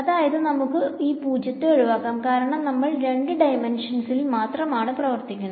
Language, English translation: Malayalam, So, we can as well remove this 0, because we are just working in two dimensions ok